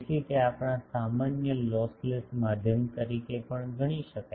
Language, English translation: Gujarati, So, it is can be considered as our usual lossless medium also